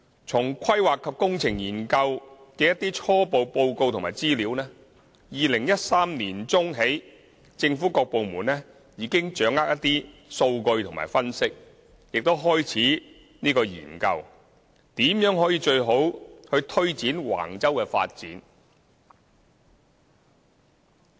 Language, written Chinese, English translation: Cantonese, 從"規劃及工程研究"的一些初步報告及資料 ，2013 年起政府各部門已經掌握一些數據和分析，亦開始研究如何最好地去推展橫洲的發展。, Based on the preliminary reports and information on the Planning and Engineering Studies various government departments had grasped some data and analyses from 2013 onwards and they started examining the best way to promote the development at Wang Chau